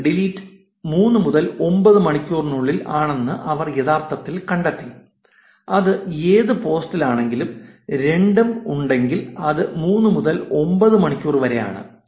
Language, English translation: Malayalam, They actually found that 32153 was deleted, peak deletion was between 3 and 9 hours, which is any post on, if it is was both get deleted is between 3 to 9 hours